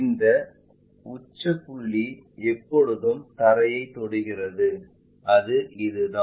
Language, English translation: Tamil, This apex point always touch the ground and that one is this